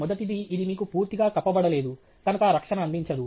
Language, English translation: Telugu, The first is that it does not provide you complete coverage